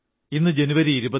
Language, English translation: Malayalam, Today is the 26th of January